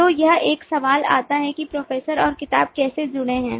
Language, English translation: Hindi, so it comes a question of how the professor and the book are associated